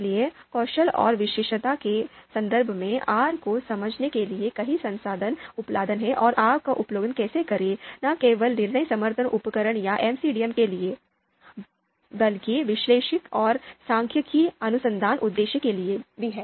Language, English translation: Hindi, So in terms of skills and expertise, there are more resources that are available to understand R and how to use R, not just for decision support tools or MCDM, but even for you know analytics and statistical you know research purposes